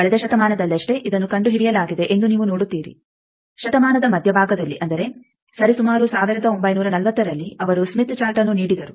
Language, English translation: Kannada, You see that only in the last century it was invented at the middle of the century roughly like 1940 type he gave that smith chart